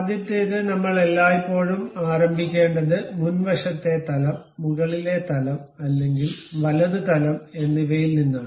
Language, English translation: Malayalam, The first one is we always begin either with front plane, top plane or right plane